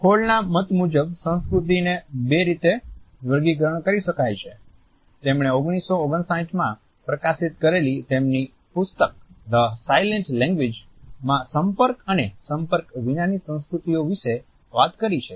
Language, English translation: Gujarati, Hall has commented that cultures can be grouped in two ways, he has talked about contact and non contact cultures in his book The Silent Language which was published in 1959